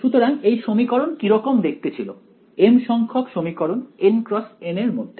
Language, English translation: Bengali, So, what did this equation read as the mth equation in these N cross N